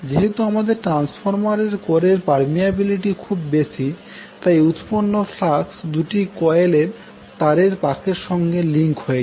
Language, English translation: Bengali, Since we have high permeability in the transformer core, the flux which will be generated links to all turns of both of the coils